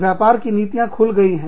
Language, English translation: Hindi, The trade policies have opened up